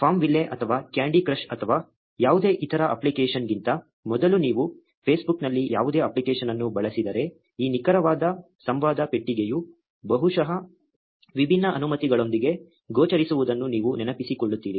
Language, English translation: Kannada, If you have ever used any app on Facebook before FarmVille or candy crush or any other app, you would remember seeing this exact dialogue box appear with probably a different set of permissions